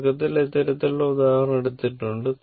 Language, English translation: Malayalam, Initially, I have taken these kind of example